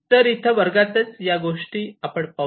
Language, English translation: Marathi, So, over here in the classroom itself